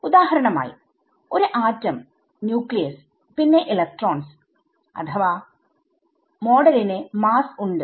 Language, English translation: Malayalam, It is for example, an atom and the nucleus and the electrons or model has the mass right